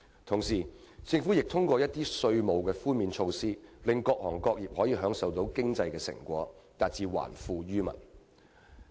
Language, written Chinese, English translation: Cantonese, 同時，政府亦通過一些稅務寬免措施，令各行各業分享經濟成果，達致還富於民的目的。, Meanwhile to return wealth to the people the Government also ensures that people from all walks of life can share the fruits of economic advancement through a number of tax relief measures